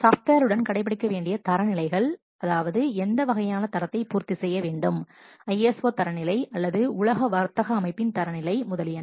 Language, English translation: Tamil, Then standards to be adhered to the software must meet which kind of standard ISO standard or that WTO standard, what trade organization standard etc